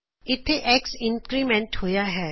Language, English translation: Punjabi, Again x is incremented